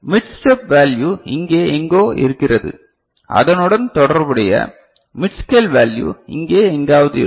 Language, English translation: Tamil, And the mid step value is somewhere here right, and the corresponding mid scale – mid scale value will be somewhere here